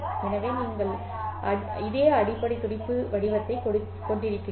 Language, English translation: Tamil, So you have the same basic pulse shape